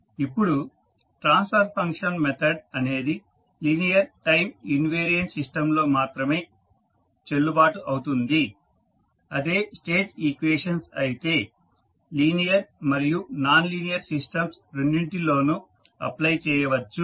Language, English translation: Telugu, Now, transfer function method is valid only for linear time invariant systems whereas State equations can be applied to linear as well as nonlinear system